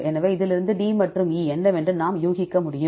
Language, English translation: Tamil, So, from this what can we infer D and E are